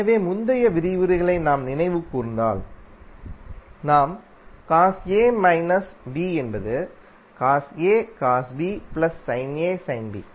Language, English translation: Tamil, So if you recollect the previous lectures we discuss cos A minus B is nothing but cos A cos B plus sin A sin B